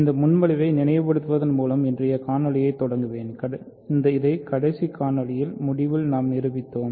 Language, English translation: Tamil, So, let me start today’s video by recalling the proposition, we proved at the end of the last video